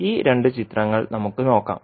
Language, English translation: Malayalam, Let us see these two figures